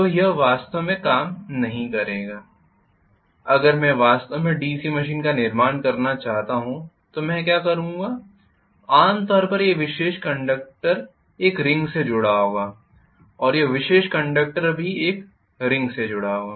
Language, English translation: Hindi, So that will not work really if I want to really constructed DC machine, so what I will do is normally this particular conductor will be connected to a ring and this particular conductor will also be connected to a ring